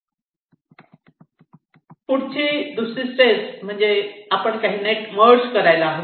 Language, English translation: Marathi, step two says: now we move to merge some of the nets